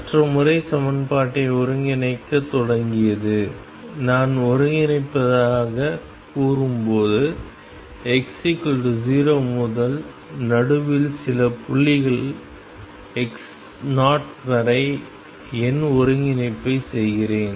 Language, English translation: Tamil, The other method was start integrating the equation and when I say integrating I mean I am doing numerical integration from x equals 0 up to some point x 0 in the middle